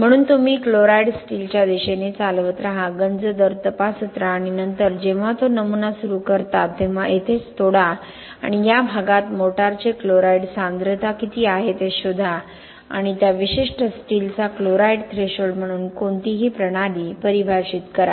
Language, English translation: Marathi, So you drive the chlorides towards the steel keep testing the corrosion rate and then when it initiates break the specimen right here and find what is the chloride concentration of the motor in this region here and that is defined as the chloride threshold of that particular steel in any system